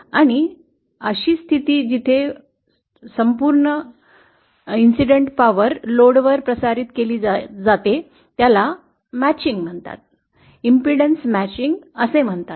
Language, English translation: Marathi, And such a condition where the entire incident power is transmitted to the load is called matching, impedance matching